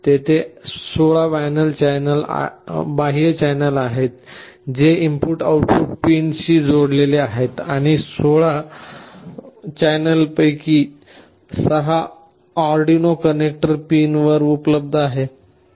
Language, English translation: Marathi, There are 16 external channels that are connected to the input/output pins and out of the 16 channels, 6 of them are available on the Arduino connector pins